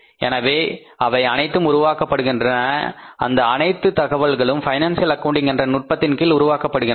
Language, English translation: Tamil, So, they all are created, all this information is created under the techniques of financial accounting